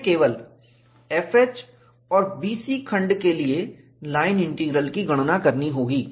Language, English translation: Hindi, We have to calculate the line integral only for the segments F H and B C